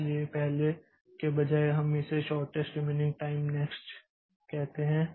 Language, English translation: Hindi, So, instead of first we call it shortest remaining time next also